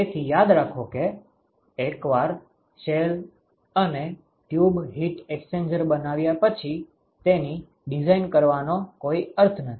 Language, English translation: Gujarati, So, remember that once you have fabricated a shell and tube heat exchanger there is no point in working out the design after that